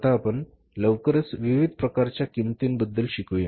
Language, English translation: Marathi, Now quickly we will learn about the different types of the costs